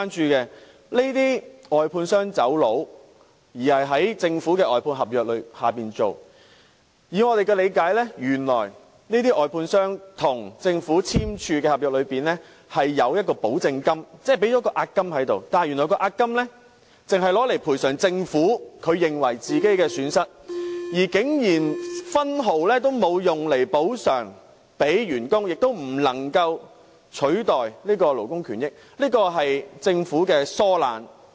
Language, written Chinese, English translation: Cantonese, 這些已捲逃的外判商與政府簽訂了外判合約，而據我們的理解，合約裏有一項保證金，即外判商已交付了押金，但原來這押金只會用來賠償政府的損失，竟然分毫不會用來補償給員工，亦不能夠用來取代勞工權益，這是政府的疏懶。, To our understanding the contract provided for a security deposit . That means the contractor had paid a deposit but it turned out that this deposit would only be used to compensate for the Governments losses . Not a penny would be used to compensate the workers